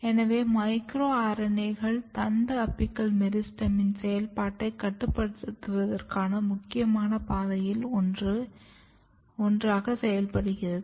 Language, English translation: Tamil, So, this suggest that micro RNAs working as one of the critical pathway to regulate the steps and activity in shoot apical meristem